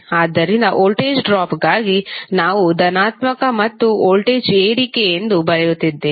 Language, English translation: Kannada, So, for voltage drop we are writing as positive and voltage rise we are writing as negative